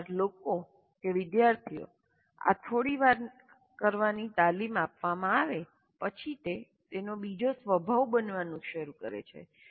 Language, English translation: Gujarati, So once people are trained, students are trained in doing this a few times, then it starts becoming second nature to the students